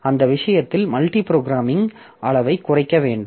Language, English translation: Tamil, So, we need to reduce the degree of multi programming in that case